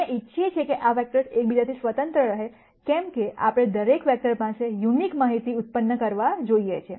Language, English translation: Gujarati, We want these vectors to be independent of each other, because we want every vector, that is in the basis to generate unique information